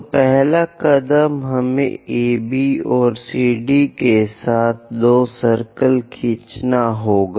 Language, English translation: Hindi, So, first step, we have to draw two circles with AB and CD as diameters